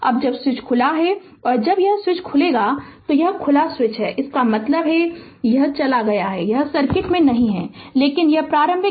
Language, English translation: Hindi, Now when switch is open now when this switch is open, your this is open this is open right, this switch is open means this is gone this is not there in the circuit, but we know the initial current the inductor i 0 is equal to 2 ampere